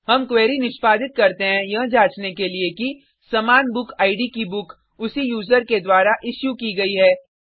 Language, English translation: Hindi, We execute the query to check if a book with the same bookid is issued by the same user